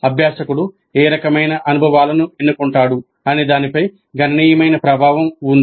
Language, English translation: Telugu, There is considerable latitude in what kind of experiences are chosen by the learner